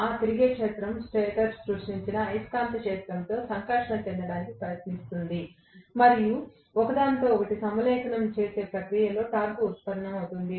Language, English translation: Telugu, That revolving field will try to interact with the stator created magnetic field, and that is going to produce the torque in the process of aligning with each other